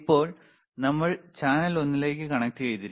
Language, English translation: Malayalam, rRight now we have connected to channel one